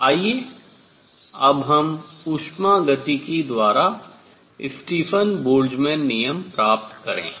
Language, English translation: Hindi, Now let us get Stefan Boltzmann law by thermodynamics